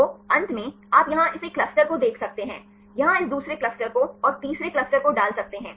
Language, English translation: Hindi, So, finally, you can see here this one cluster, here this another cluster and put the third cluster